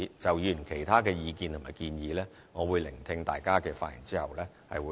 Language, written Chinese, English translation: Cantonese, 就議員其他的意見和建議，我會在聆聽大家的發言後再作回應。, I will respond to the other comments and suggestions made by Members after listening to your speeches